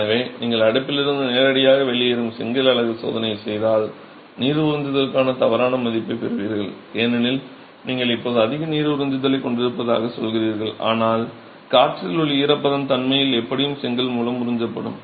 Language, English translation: Tamil, So, if you were to test that brick unit coming directly out of the oven, you will get a wrong value for the water absorption because you are biasing it now as having more water absorption whereas the moisture in the air will actually be absorbed by the brick anyway